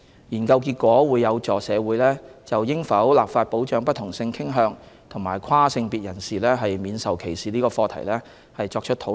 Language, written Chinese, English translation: Cantonese, 研究結果會有助社會就應否立法保障不同性傾向及跨性別人士免受歧視這項課題作討論。, The findings will facilitate discussion in the community on whether legislation should be introduced to protect people of different sexual orientations and transgenders against discrimination